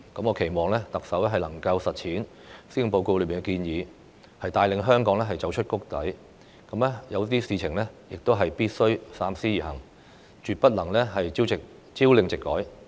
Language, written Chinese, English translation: Cantonese, 我期望特首能夠落實施政報告裏的建議，帶領香港走出谷底；對一些事情必須三思而行，絕不能朝令夕改。, I hope the Chief Executive can implement the proposals announced in the Policy Address and lead Hong Kong out of the rock bottom; think twice before implementing certain measures and avoid changing its measures in an unpredictable and capricious manner